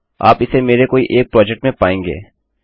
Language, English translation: Hindi, Youll find it in one of my projects...